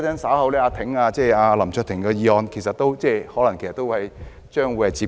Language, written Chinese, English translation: Cantonese, 稍後有關林卓廷議員的議案可能亦是類近的情況。, Similarly this may be the case for the motion concerning Mr LAM Cheuk - ting which will be discussed later